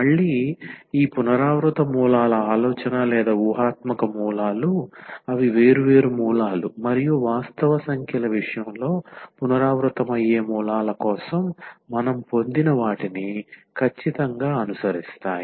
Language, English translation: Telugu, So, again the idea of this repeated roots or the imaginary roots they exactly follow what we have derived for the distinct roots and the repeated roots in case of the real numbers